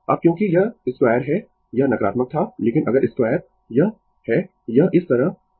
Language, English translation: Hindi, Now, because it is square this was negative, but if you square it, is it is going like this